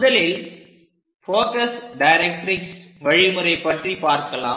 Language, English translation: Tamil, First of all let us focus on this focus directrix method